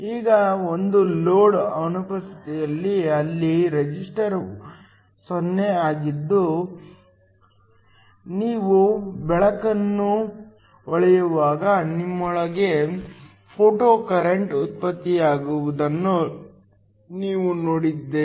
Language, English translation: Kannada, Now in the absence of a load, where the resistor is 0, we saw that when you shine light you have a photocurrent that is generated within